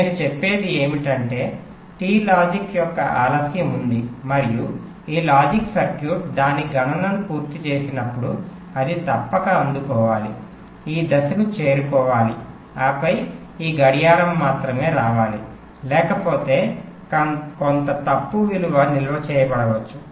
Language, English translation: Telugu, so what i am saying is that there is a delay of t logic and when this logic circuit has finish its calculation it must receive, reach this point and then only this clock should come, otherwise some wrong value might get stored